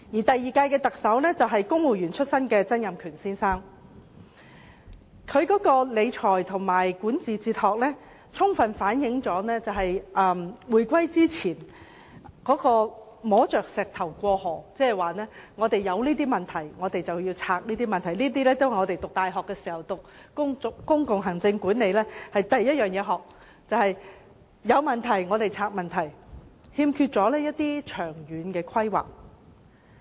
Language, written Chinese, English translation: Cantonese, 第二屆特首是公務員出身的曾蔭權先生，他的理財和管治哲學充分反映，香港在回歸前是摸着石頭過河，遇到甚麼問題便拆解甚麼問題，這也是我們在大學修讀公共行政管理時的第一課，但曾先生欠缺長遠規劃。, His financial management and governance philosophies fully reflected that we were crossing the river by feeling the stones before the reunification trying to solve whatever problems that had arisen . This is actually the first lesson we learnt when we studied public administration at university . However Mr TSANG lacked long - term planning